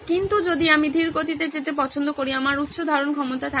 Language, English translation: Bengali, But if I choose to go slow, I will have a high retention